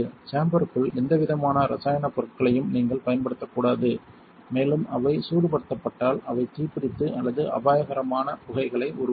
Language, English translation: Tamil, You should never use any kind of chemical inside the chamber as well it is possible for them to ignite and or produce dangerous fumes if they are heated